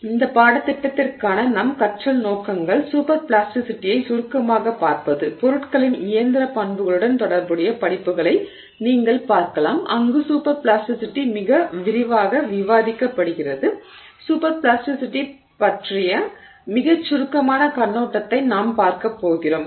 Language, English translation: Tamil, So, our learning objectives for this course are to briefly look at super plasticity, you can look at courses associated with the mechanical properties of materials where super plasticity is discussed in much greater detail